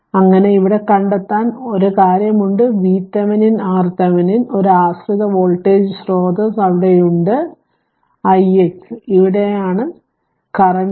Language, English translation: Malayalam, So, here also same thing we have to find out your V Thevenin and R Thevenin one dependent voltage source is there this is i x, current is here is i x this this i x is here right